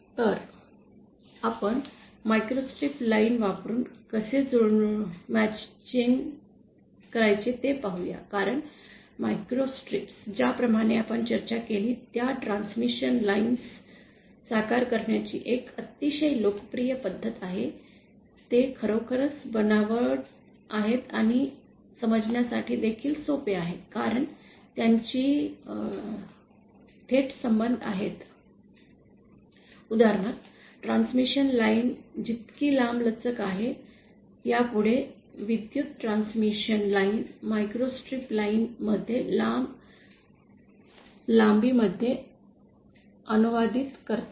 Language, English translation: Marathi, So, let us see how to do matching using a microstrip line because microstrips are the as we have discussed are a very popular method of realising transmission lines, there really to fabricate and there also simple to understand because they have a direct relationship with theÉ For example the longer the transmission line, longer electric transmission line translates to a longer length in a microstrip line